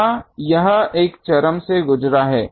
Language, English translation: Hindi, Here, it has gone through one extreme